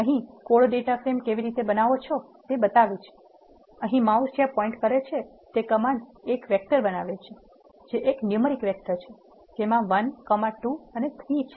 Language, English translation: Gujarati, The code here shows how to create a data frame; the command here where the mouse is pointed creates a vector which is a numeric vector, which is containing 1, 2 and 3